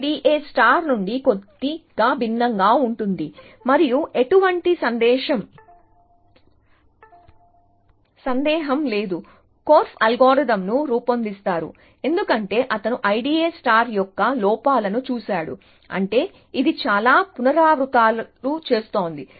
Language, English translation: Telugu, So, R B F S is a little different from I D A star and no doubt korf devises algorithm, because he saw the drawbacks of I D A star, which is that, it was doing too many iterations